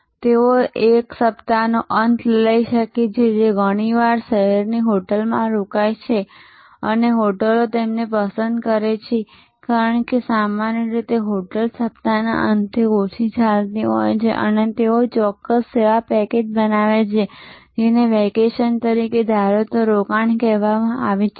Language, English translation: Gujarati, So, they may take a week end often stay in a hotel in the city and hotels love them, because normally hotels run lean during the weekends and they create a particular service package, which is often called a staycation that as suppose to vacation